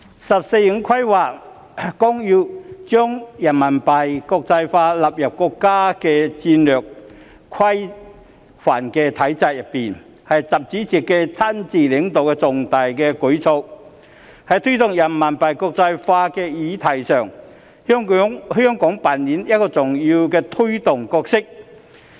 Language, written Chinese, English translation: Cantonese, 《十四五規劃綱要》將人民幣國際化納入國家戰略規範的體制內，是習主席親自領導的重大舉措，在推動人民幣國際化的議題上，香港扮演一個重要的推動角色。, The Outline of the 14th Five - Year Plan incorporates the internationalization of Renminbi RMB into the national strategic framework which is a major initiative led by President XI himself . Hong Kong plays an important role in promoting RMB internationalization